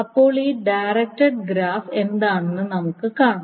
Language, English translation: Malayalam, So this is a directed graph